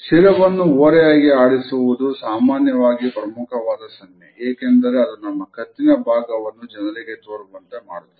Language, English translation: Kannada, Tilting the head is often considered to be a sufficient signal, because it exposes our neck to other people